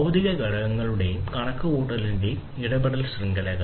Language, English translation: Malayalam, Interacting networks of physical components and computational